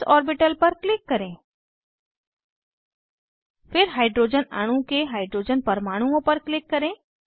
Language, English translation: Hindi, Click on s orbital, Then click on Hydrogen atoms of Hydrogen molecule